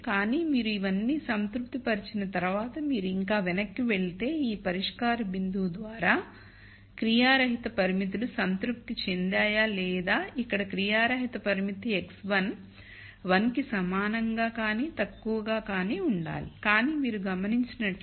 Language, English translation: Telugu, But once you have satisfied all of this you have to still go back and look at whether the inactive constraints are satisfied by this solution point right here and the inactive constraint here is x 1 has to be less than equal to 1, but if you notice that 1